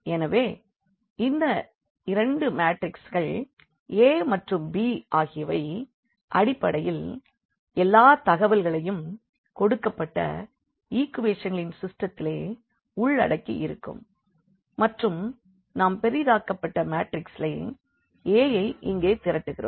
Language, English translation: Tamil, So, these two the matrix A and the matrix b basically have all the information of the given system of equations and what we do in the augmented matrix we basically collect this a here